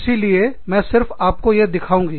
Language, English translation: Hindi, So, let me show this, to you